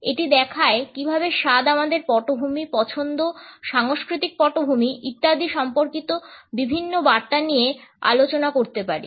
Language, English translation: Bengali, It looks at how taste can communicate different messages regarding our background, our preferences, our cultural background etcetera